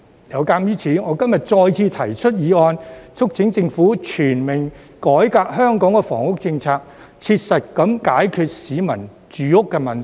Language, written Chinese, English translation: Cantonese, 有鑒於此，我今天再次提出議案，促請政府全面改革香港的房屋政策，切實解決市民住屋問題。, In view of this I propose a motion again today to urge the Government to comprehensively reform Hong Kongs housing policy to practically resolve peoples housing problem